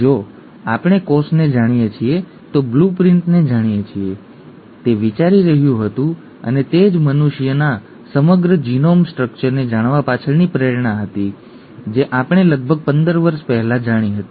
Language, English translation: Gujarati, If we know the blueprint we know the cell, okay, that was thinking and that was the motivation behind knowing the entire genome structure of humans which we came to know about 15 years ago